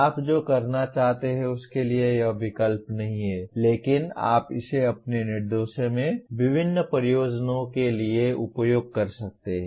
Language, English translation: Hindi, It does not substitute for what you want to do, but you can use it for variety of purposes in your instruction